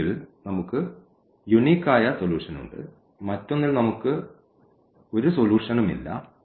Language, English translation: Malayalam, In one case we have the unique solution, in another one we have no solution here we have infinitely many solutions